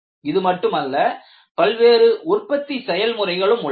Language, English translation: Tamil, Not only this, you have several manufacturing processes